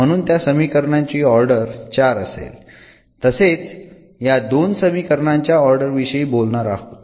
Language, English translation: Marathi, So, the order of this equation will be 4 similarly will be talking about the order of these two equations